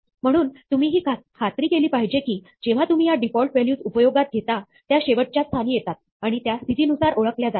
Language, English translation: Marathi, Therefore, you must make sure that, when you use these default values, they come at the end, and they are identified by position